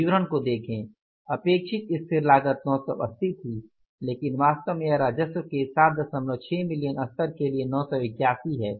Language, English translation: Hindi, The expected fixed cost was total is 980 but actually it is 981 for the 7